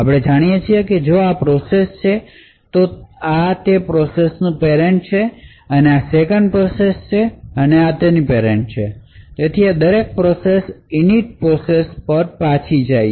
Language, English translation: Gujarati, So, as we know if this is a process, this is the parent of that process, this is the parent of the 2nd process and so on, so all processes while we go back to the Init process